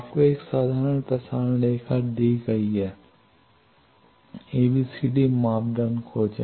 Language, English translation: Hindi, You are given a simple transmission line, find the ABCD parameter